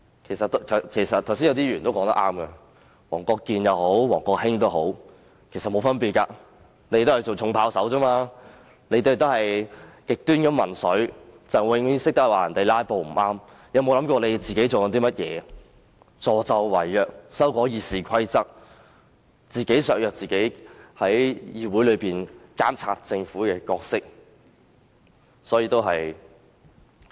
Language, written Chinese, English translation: Cantonese, 剛才有議員說得很正確，不管是黃國健議員或王國興，其實沒有分別，他們都是扮演"重炮手"，同樣是極端民粹，只懂指責別人"拉布"不正確，但卻沒有想過自己在做些甚麼——助紂為虐，修訂《議事規則》，自我削弱議會監察政府的功能。, Just now a Member was so right in saying that be it Mr WONG Kwok - kin or WONG Kwok - hing it makes no difference at all as both of them are extreme populists and political heavyweights; they only censure others for filibustering without thinking of their act―helping the evildoer to amend RoP to the effect of undermining the function of this Council to monitor the Government